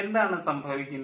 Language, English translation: Malayalam, what is happening